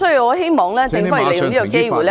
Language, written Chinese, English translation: Cantonese, 我希望政府利用這個機會......, I hope the Government makes use for this opportunity to